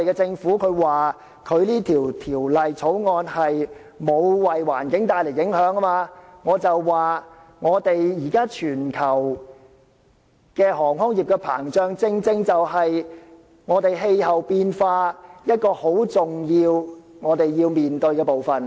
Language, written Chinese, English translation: Cantonese, 政府現時說《條例草案》並沒有為環境帶來影響，我想指出，現時全球航空業膨脹，正正是面對氣候變化一個很重要的部分。, The Government now says that the Bill will not bring about any environmental impact but I want to point out that the present expansion of the global aviation industry is precisely a highly important part of the climate change